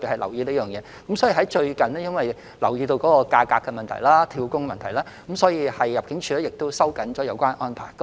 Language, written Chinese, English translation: Cantonese, 由於最近留意到有關工資及"跳工"的問題，入境處已收緊有關安排。, In view of the problems relating to FDHs wages and job - hopping ImmD has tightened the relevant arrangements